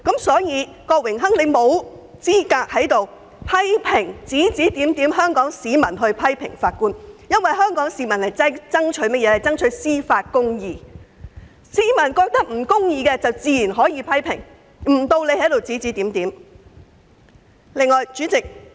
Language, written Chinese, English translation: Cantonese, 所以，郭榮鏗議員沒有資格在此非議香港市民批評法官，因為香港市民爭取的是司法公義，只要認為有不公義之處，自然可作出批評，不容他在此指指點點。, Therefore Mr KWOK is not in a position to condemn the criticism of Hong Kong people against the judges . It is because the people of Hong Kong are fighting for judicial justice who can naturally criticize any injustice they have noticed . And so he is not supposed to boss around here